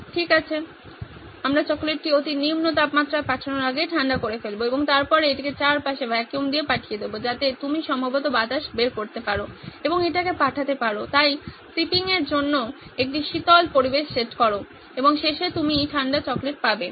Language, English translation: Bengali, Well we will cool the chocolate before it’s shipped to ultra low temperatures and then ship it with vacuum around it that you can probably pull out the air and send it across so set a cooler environment all through its shipping and at the end you get is the cool chocolates